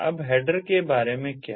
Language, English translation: Hindi, now what about the header